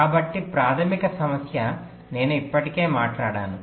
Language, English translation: Telugu, so the basic problem i have already talked about